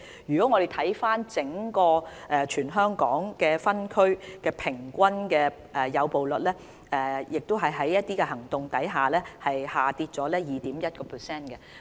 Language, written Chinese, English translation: Cantonese, 如果我們看回整個全港分區平均誘捕率，在進行這些行動後，也下跌了 2.1%。, If we look at the average rat - trapping rate by district throughout the territory it has dropped to 2.1 % after the launch of the campaign